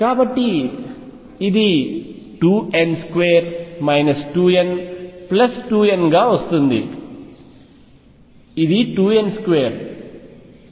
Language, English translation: Telugu, So, this is going to be 2 n